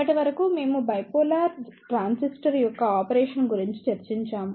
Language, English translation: Telugu, Till now, we just discussed about the operation of the bipolar transistor